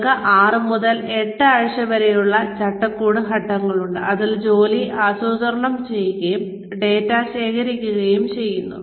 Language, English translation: Malayalam, We have the framework phase of 6 to 8 weeks, in which the work is planned, and data is collected